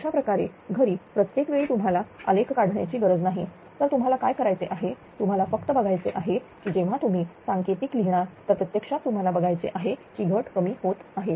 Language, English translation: Marathi, This way this way although you need not plot the graph every time, so what you have to do is that you have to just you have to see that when you write the code actually you have to see this loss is decreasing, right